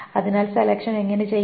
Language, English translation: Malayalam, So how can selection be done